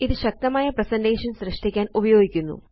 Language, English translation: Malayalam, It is used to create powerful presentations